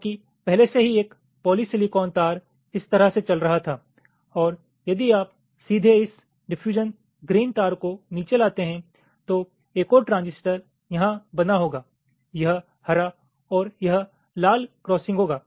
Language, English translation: Hindi, because already a polysilicon wire was running like this and and if you directly brought this diffusion green wire down here, then another transistor would have formed